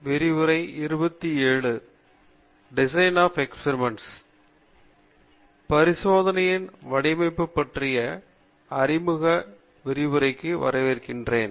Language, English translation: Tamil, Hello, welcome to the introductory lectures on Design of Experiments